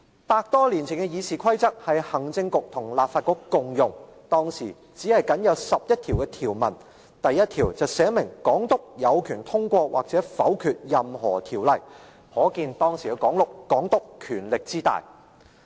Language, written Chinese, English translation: Cantonese, 百多年前的議事規則是行政局與立法局共用，當時僅有11項條文，第1條訂明港督有權通過或否決任何條例，可見當時的港督權力之大。, This RoP was adopted over a hundred years ago to provide guides to both the Executive Council and the Legislative Council . With only 11 provisions its first rule gave the Governor the right to pass or veto any bills . We can see how powerful the Governor was that time